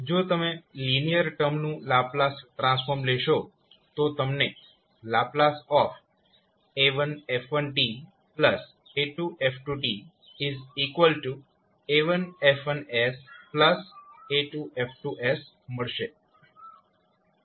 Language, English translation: Gujarati, If you take the Laplace transform of the linear term you will get the Laplace transform like a1 f1 s plus a2 f2 s